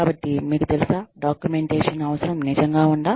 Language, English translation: Telugu, Is the need for documentation, really there